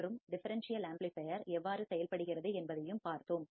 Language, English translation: Tamil, And we have also seen how the differential amplifier works